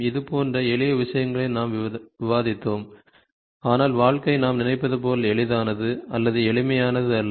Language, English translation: Tamil, So, such simple things we were discussing, but life is not as easy or as simple as we think